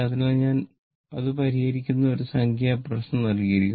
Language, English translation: Malayalam, So, one numerical is given that we will solve it